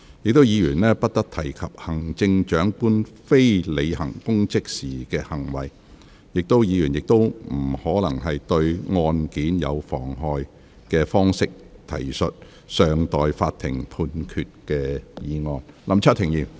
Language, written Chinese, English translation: Cantonese, 議員不得提及行政長官非履行公職時的行為，亦不得以可能對案件有妨害的方式，提述尚待法庭判決的案件。, Reference shall not be made to a case pending in a court of law in such a way as might prejudice that case . The conduct of the Chief Executive otherwise than in the performance of her official duties shall not be raised either